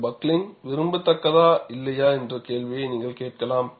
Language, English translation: Tamil, You may ask the question, whether this buckling is desirable or not